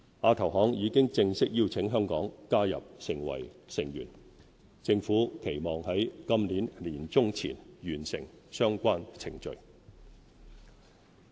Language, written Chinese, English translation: Cantonese, 亞投行已正式邀請香港加入成為成員，政府期望於今年年中前完成相關程序。, Hong Kong has been officially invited to join AIIB . We expect the relevant procedures to be completed by the middle of this year